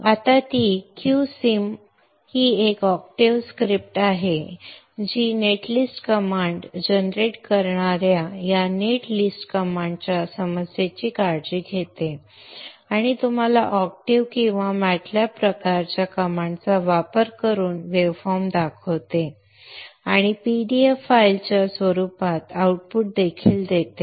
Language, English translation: Marathi, You see that there is a Q and then there is NG sim now the Q Sim is an octave script which which takes care of the issue of this netlist command generating net list command and also to show you the waveforms using octave or matlap type of commands and also to put an output in the form of a PDF file